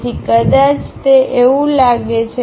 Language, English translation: Gujarati, So, maybe it looks like that